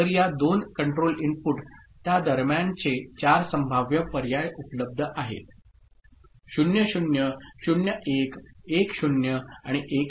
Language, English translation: Marathi, So, these two control inputs, between them offer 4 possible you know, options 00, 01, 10 and 11 ok